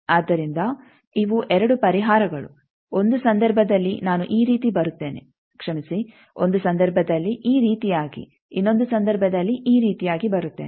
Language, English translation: Kannada, So, these are the 2 solutions, in 1 case I will come like this, I am sorry, in 1 case like this, in another case like this